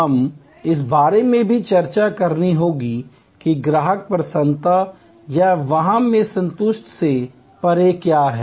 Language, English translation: Hindi, We will also have to discuss about, what goes beyond satisfaction in the customer delight or wow